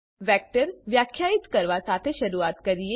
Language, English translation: Gujarati, Let us start by defining a vector